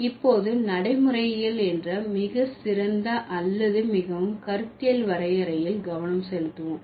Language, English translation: Tamil, So, now let's focus on the finest or the most conceptual definition of pragmatics